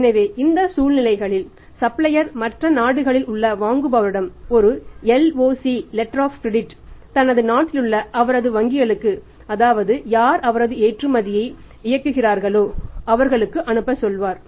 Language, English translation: Tamil, But in that case the suppliers ask the buyer in the other country to send him a LOC letter of credit from his own bank in his own country who is operating in the exporter country also